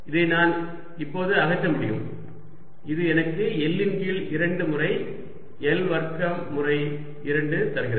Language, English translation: Tamil, i can remove this now and this gives me l by two times, l square, two times